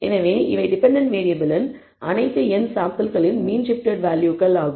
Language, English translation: Tamil, So, these are the mean shifted values of all the n samples for the dependent variable